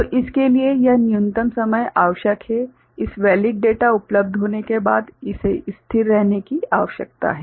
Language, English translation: Hindi, So, this is the minimum time required for this, after this valid data is available it needs to be remain stable